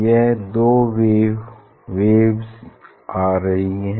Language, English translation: Hindi, So that two waves here it is coming